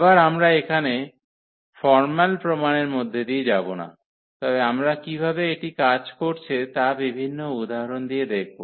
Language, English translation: Bengali, Again we will not go through the formal proof here, but we will see with the help of many examples, how this is working